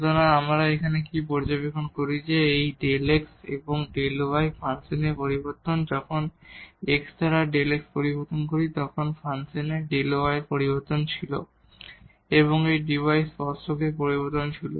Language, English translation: Bengali, So, what do we observe here that this delta x and the delta y are the changes in the function when we changes x by delta x then there was a change of delta y in the function and this d y was the change in the tangent